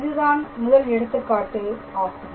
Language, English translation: Tamil, So, this is another interesting example